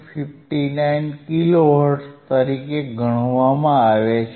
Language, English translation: Gujarati, 59 kilo hertz that we have already calculated, right